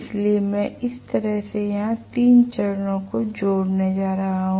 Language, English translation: Hindi, So, I am going to connect the 3 phases here like this